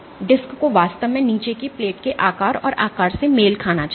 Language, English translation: Hindi, So, the disk should really match the shape and size of the bottom plate